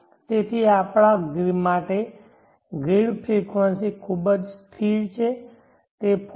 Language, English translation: Gujarati, So for us the grid frequency is very stable it varies between 49